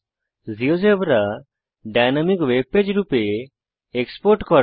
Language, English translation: Bengali, To export Geogebra as a dynamic webpage